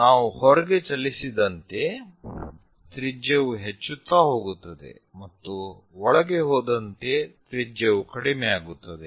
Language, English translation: Kannada, If we are moving outside radius increases, as I am going inside the radius decreases